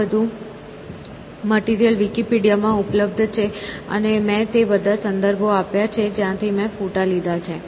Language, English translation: Gujarati, All this material that is available in Wikipedia and I have given all the references from where I have taken the images